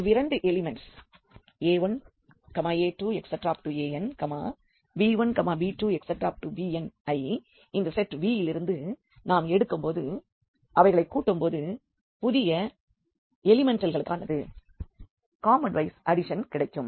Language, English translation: Tamil, So, when we take these two elements here a 1, a 2, a n and b 1, b 2, b n from this set V and when we add them, so, the new element will be just the component wise addition here